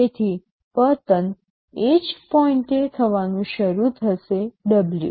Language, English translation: Gujarati, So, the fall will start happening at the same point W